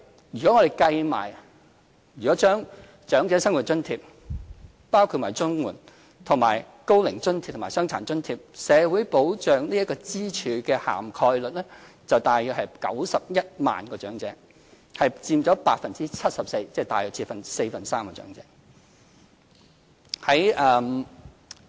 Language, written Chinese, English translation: Cantonese, 如果將長者生活津貼連同綜援，以及高齡津貼和傷殘津貼，社會保障支柱的覆蓋率為接近約91萬名長者，佔 74%， 即大約四分之三的長者。, Taking OALA CSSA OAA and Disability Allowance altogether into account the social security pillar almost covers around 910 000 elderly persons accounting for 74 % or a three - fourths of the entire elderly population